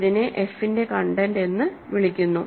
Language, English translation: Malayalam, So, this is called the content of f